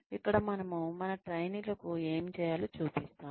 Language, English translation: Telugu, Where, we show our trainees, what is required to be done